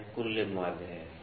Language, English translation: Hindi, So, this is the overall mean